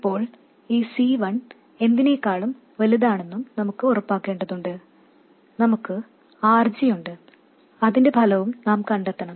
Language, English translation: Malayalam, And now we have to make sure that this C1 is much larger than something and we have this RG, we have to find out the effect of that and so on